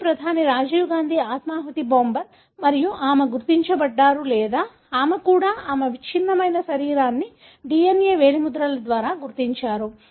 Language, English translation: Telugu, Even, the suicide bomber of former Prime Minister Rajiv Gandhi and she was identified or even her, her mutilated body was identified by DNA fingerprinting